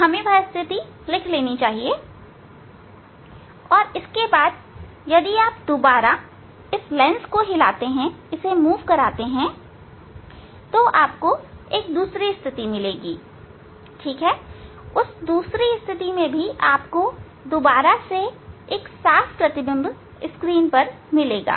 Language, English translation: Hindi, we have to note down that position and then if you move again you will get another position, for that position of the lens you will get again the sharp image on the screen